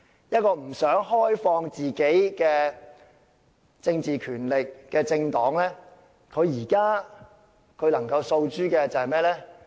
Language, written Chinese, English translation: Cantonese, 一個不想開放政治權力的政黨，現在能夠訴諸甚麼？, If a ruling party is unwilling to relinquish its political powers what can it do?